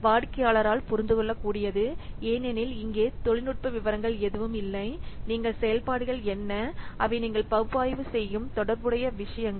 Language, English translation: Tamil, Understandable by the client because here no technical details are there, you just what are the functionalities and they are associated things you are just analyzing